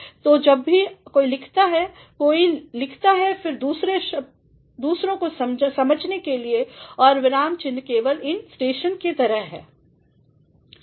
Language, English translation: Hindi, So, whenever somebody writes actually he or she writes just for others to understand and punctuation are just like these stations